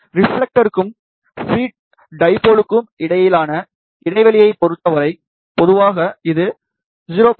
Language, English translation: Tamil, As far as the spacing between the reflector and the feed dipole is concerned, so that is generally 0